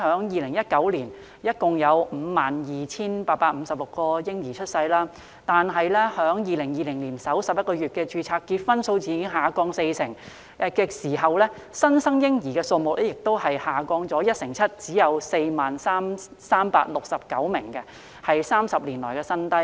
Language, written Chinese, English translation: Cantonese, 2019年共有 52,856 名嬰兒出生，但2020年首11個月，註冊結婚數字下降四成，新生嬰兒人數亦下降一成七，只有 40,369 名，是30年來新低。, The total number of births in Hong Kong was 52 856 in 2019 but the number of marriages contracted dropped by 40 % in the first 11 months of 2020 and the number of newborns also dropped by 17 % to only 40 369 which hit a 30 - year low